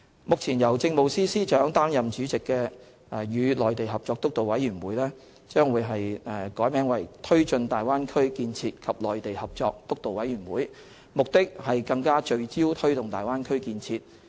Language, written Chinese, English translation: Cantonese, 目前由政務司司長擔任主席的"與內地合作督導委員會"將易名為"推進大灣區建設及內地合作督導委員會"，目的是更聚焦推動大灣區建設。, The Steering Committee on Co - operation with the Mainland chaired by the Chief Secretary for Administration will be renamed as the Steering Committee on Taking Forward Bay Area Development and Mainland Co - operation